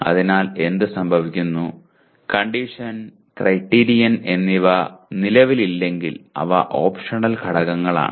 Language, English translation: Malayalam, So what happens, condition and criterion they are optional elements if they do not exist